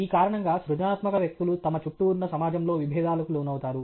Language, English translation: Telugu, Because of this, creative people get into conflicts with the society around them